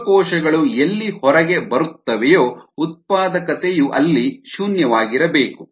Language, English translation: Kannada, you know cells coming out, so the productivity needs to be zero there